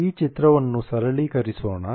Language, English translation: Kannada, Let us simplify this picture